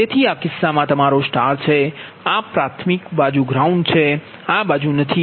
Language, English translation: Gujarati, so in that case, this is your star, right, this side is ground, primary side is grounded, this side is not